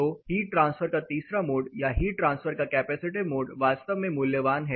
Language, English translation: Hindi, So, the third mode of heat transfer or a capacity mode of heat transfer is really valuable